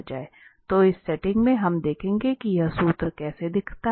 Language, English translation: Hindi, So in this vector setting, we will see how this formula looks like